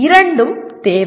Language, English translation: Tamil, Both are required